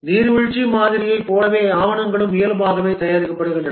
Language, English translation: Tamil, In the waterfall model, everything needs to be documented